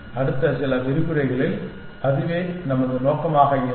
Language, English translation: Tamil, That is going to be our objective in the next few lectures essentially